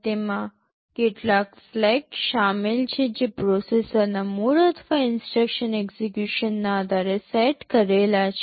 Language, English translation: Gujarati, It consists of several flags that are set depending on the mode of the processor or the instruction execution